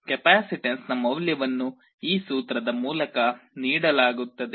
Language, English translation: Kannada, The value of the capacitance is given by this expression